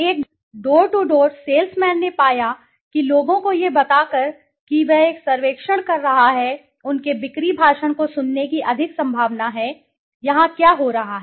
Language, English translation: Hindi, A door to door salesman finds that by telling people that he is conducting a survey they are more likely to listen to his sales speech, what is happening here